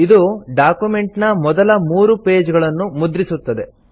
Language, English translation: Kannada, This will print the first three pages of the document